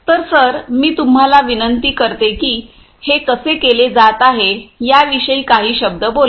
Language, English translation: Marathi, So, could I request you sir to speak a few words about how it is being done